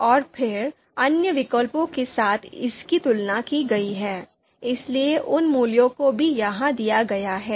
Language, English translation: Hindi, And then it has been compared with you know other you know alternatives as well, so those values are given here